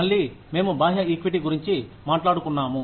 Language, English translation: Telugu, Again, we are talking about external equity